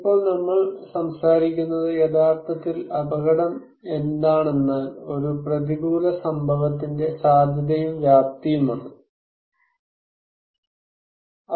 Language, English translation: Malayalam, Now, we are talking about that risk is actually the probability and the magnitude of an adverse event